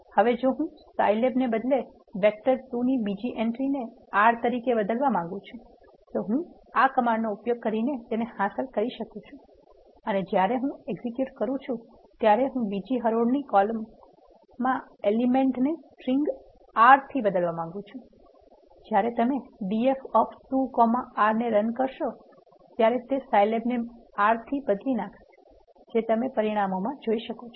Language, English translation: Gujarati, We can print that data frame also; now if I want to change the second entry in vector 2 as an R instead of Scilab I can achieve that by using this command I am accessing and I want to replace the element in the second row second column with the string R, when you execute this command d f of 2 comma 2 is equal to r what it does is it replaces the entry Scilab with R as shown in the results